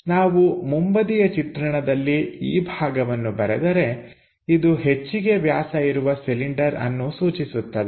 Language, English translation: Kannada, So, if we are drawing this portion for the front view indicates this maximum diameter cylinder